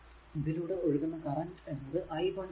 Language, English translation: Malayalam, And suppose current is flowing through this is i, right